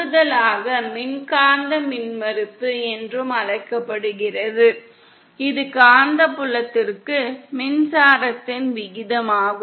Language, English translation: Tamil, In addition we also have something called electromagnetic impedance which is the ratio of the electric to the magnetic field